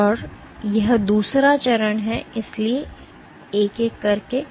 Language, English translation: Hindi, So, this is the second step, so one by one